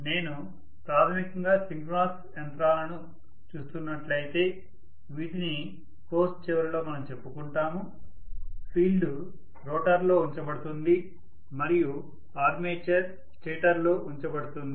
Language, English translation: Telugu, Whereas if I am looking at basically synchronous machines for example which we will be talking about towards the end of the course, the field will be housed in the rotor and armature will be housed in the stator